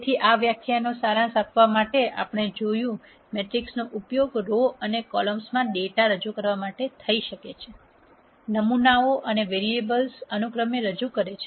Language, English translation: Gujarati, So, to summarize this lecture as we saw matrix can be used to represent data in rows and columns; representing samples and variables respectively